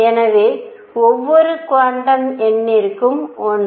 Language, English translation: Tamil, So, one for each quantum number